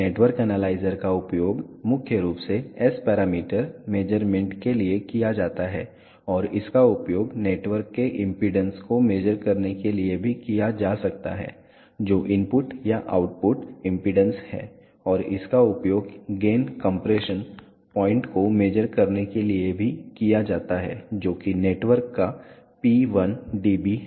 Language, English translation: Hindi, Network analyzers are used for s parameter measurements primarily and it can be also used to measure the impedance of a network which is input or output impedance and it is also used to measure the gain compression point which is p 1 dB of a network